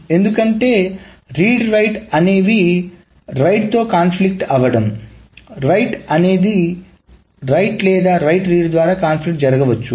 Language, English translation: Telugu, Because you see that this read right conflicts, right right or right read conflicts will happen